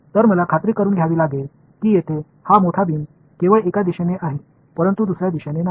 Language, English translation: Marathi, So, I have to make sure that this like this big beam over here is only in one direction not in the other direction